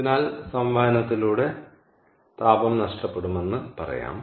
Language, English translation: Malayalam, so, therefore, what i would say is: heat will be lost by convection